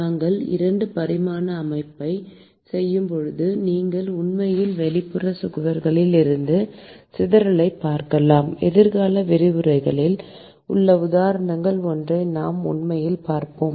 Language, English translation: Tamil, when we are doing a 2 dimensional system, you can actually look at dissipation from the outside walls; and we will actually see it in one of the examples in the future lectures